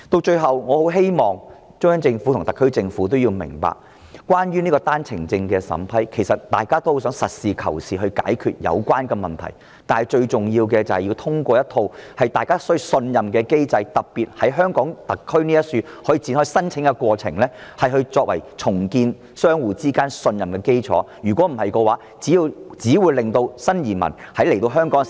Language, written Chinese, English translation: Cantonese, 最後，我很希望中央政府和特區政府明白，關於單程證的審批，其實大家都很想實事求是地解決有關問題，但最重要的是，要有一個大家可以信任的機制——特別是容許單程證的申請過程在香港特區展開——作為重建香港與內地相互信任的基礎，否則，只會令新移民來到香港時......, Finally I very much hope that the Central Government and the SAR Government can understand that in regard to the vetting and approval of OWP applications we actually want to resolve the problem in a practical manner . But what is most important is to have a trustful mechanism especially when the OWP application procedure can commence in Hong Kong SAR as a foundation to build mutual trust between Hong Kong and the Mainland